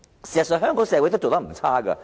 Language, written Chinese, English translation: Cantonese, 事實上，香港社會也做得不錯。, In fact what the Hong Kong society has been doing is not bad